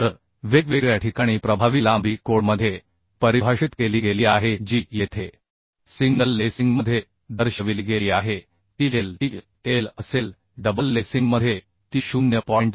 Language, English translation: Marathi, 7l So the effective length for different cases has been defined in the code which is shown here in single lacing it will be le is equal to l in double lacing it will be 0